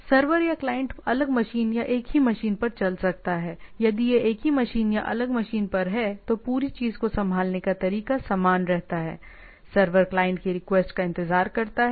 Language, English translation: Hindi, Server or client may be running on the different machine or in the same same machine, all right, if it is on the same machine or different machine, the way of handling the whole thing remains same, server waits for the request from the client